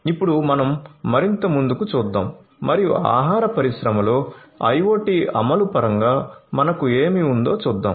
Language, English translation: Telugu, So, let us now look further ahead and see what we have in terms of IoT implementation in the food industry